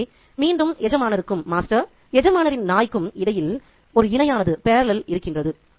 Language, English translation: Tamil, So, there is a parallel again between the master and the master's dog